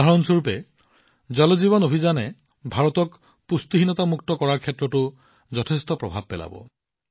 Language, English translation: Assamese, For example, take the Jal Jeevan Mission…this mission is also going to have a huge impact in making India malnutrition free